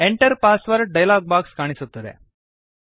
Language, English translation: Kannada, The Enter Password dialog box appears